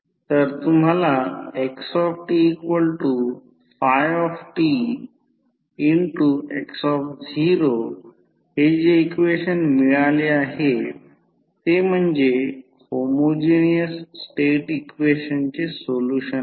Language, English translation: Marathi, So, this equation which you have got xt is equal to phi t into x naught is the solution of homogeneous state equation